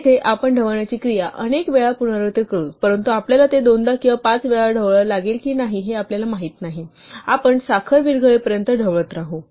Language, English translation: Marathi, Here, we will repeat the stirring action a number of times, but we will not know in advance whether we have to stir it twice or five times, we will stir until the sugar dissolves